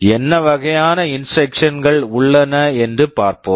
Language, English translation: Tamil, Let us see what kind of instructions are there